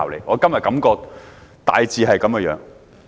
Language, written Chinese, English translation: Cantonese, 我今天的感覺大致是這樣。, This is more or less how I feel today